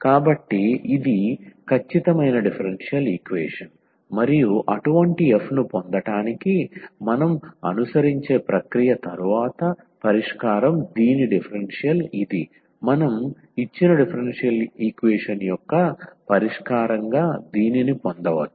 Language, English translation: Telugu, So, this is an exact differential equation and the solution after the process we follow for getting such a f whose differential is this we can get this as these solution of this given differential equation